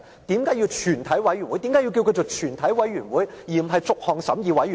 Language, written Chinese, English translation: Cantonese, 為何要稱它為全體委員會而不是逐項審議委員會？, Why do we call it a committee of the whole Council instead of simply a clause - by - clause committee?